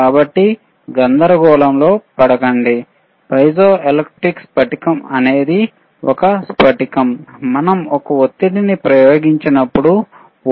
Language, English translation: Telugu, So, do not get into confusion, piezoelectric crystals is the crystal that when we apply a pressure youwe will see the change in voltage, you will same change in voltage